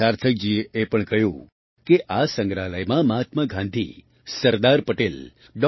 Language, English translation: Gujarati, Sarthak ji also mentioned that this museum also provides very interesting information about Mahatma Gandhi, Sardar Patel, Dr